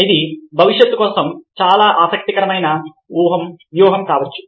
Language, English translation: Telugu, ok, this can be a very interesting strategy for the future